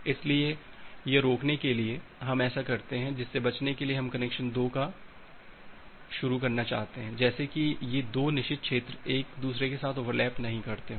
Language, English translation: Hindi, So, to prevent that what we do that to prevent that we want to initialize connection 2, such that these 2 forbidden region does not overlap with each other